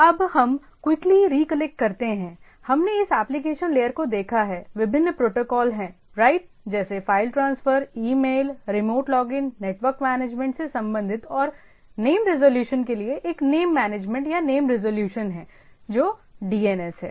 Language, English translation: Hindi, So, as if you just quickly recollect, so we have seen this application layer, there are various protocols right, like some related to file transfer, email, remote login, network management and there is a name management or name resolution for name resolution which is DNS